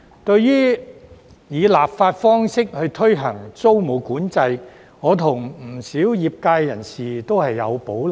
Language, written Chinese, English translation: Cantonese, 對於以立法方式推行租務管制，我與不少業界人士都有保留。, Many members of the sector and I have reservations about introducing tenancy control by way of legislation